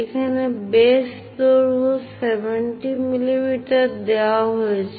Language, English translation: Bengali, Here the base length 70 mm is given